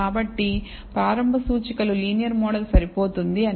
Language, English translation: Telugu, And so, we can say the initial indicators are that a linear model is adequate